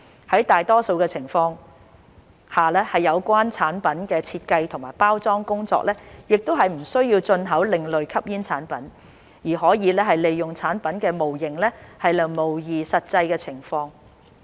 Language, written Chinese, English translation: Cantonese, 在大多數的情況下，有關產品的設計及包裝工作亦不需要進口另類吸煙產品，而可以利用產品模型來模擬實際情況。, In most cases the design and packaging of the product does not require the import of ASPs but rather the use of product models to simulate the actual situation